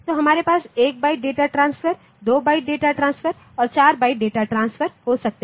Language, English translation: Hindi, So, we can have 1 by data transfer, 2 by data transfer or 4 by data transfer